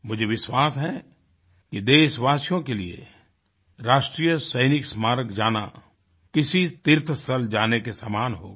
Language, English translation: Hindi, I do believe that for our countrymen a visit to the National War Memorial will be akin to a pilgrimage to a holy place